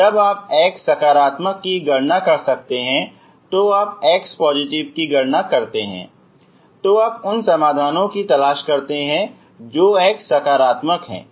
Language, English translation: Hindi, if you know now you can calculate for x positive if you calculate for x positive you look for solutions, you look for solutions who are x positive